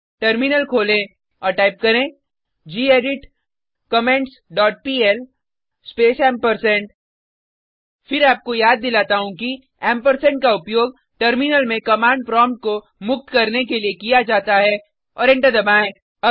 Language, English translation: Hindi, Open the Terminal and type gedit comments dot pl space Once again, reminding you that the ampersand is used to free the command prompt in the terminal and press enter